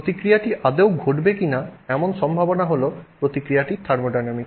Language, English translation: Bengali, The possibility that the reaction will occur at all is the thermodynamics of the reaction